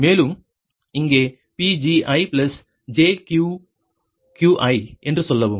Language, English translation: Tamil, and here also say pgi plus jqgi, right